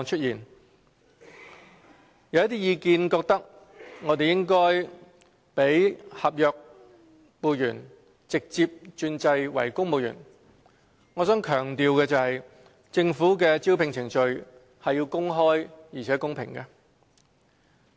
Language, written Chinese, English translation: Cantonese, 有一些意見認為，政府應該讓合約僱員直接轉制為公務員。我想強調的是，政府的招聘程序是要公開而且公平的。, Regarding the views that the Government should allow the direct conversion of contract staff to civil servants I would like to emphasize that the Governments recruitment procedure is open and fair